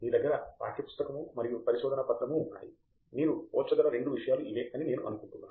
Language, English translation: Telugu, You have a text book and a research paper, I think these are the two things you can compare